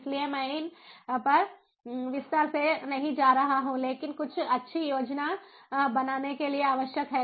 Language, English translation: Hindi, so i not going to elaborate on these, but what is required is to do some good planning